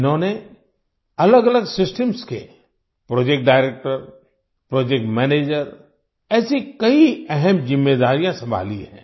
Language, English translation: Hindi, They have handled many important responsibilities like project director, project manager of different systems